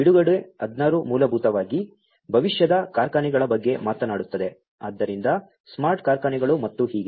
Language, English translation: Kannada, Release 16 basically talks about the factories of the future so smart factories and so on